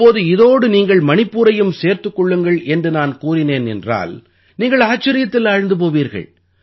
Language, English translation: Tamil, But if I ask you to add the name of Manipur too to this list you will probably be filled with surprise